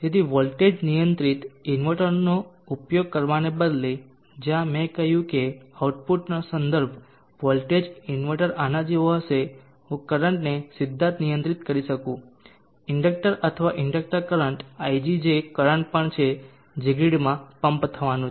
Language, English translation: Gujarati, So instead of using voltage controlled inverter where I said the reference voltage of the output the inverter to be like this, I could control the current directly of the inductor at the inductor current ig which is also the current that is going to be pumped in to the grid